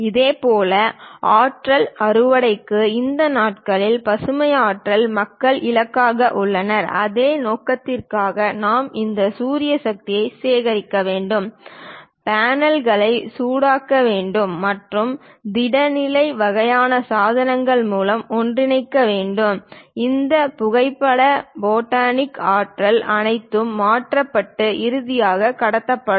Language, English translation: Tamil, Similarly, for energy harvesting, these days green energy people are aiming for; for that purpose, we have to collect this solar power, heat the panels or converge through pressure electric kind of materials or perhaps through solid state kind of devices, all this photo photonic energy will be converted and finally transmitted